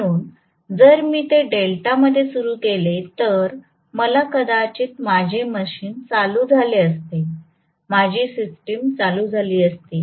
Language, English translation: Marathi, So if I had started it in delta maybe my machine would have started, my system would have started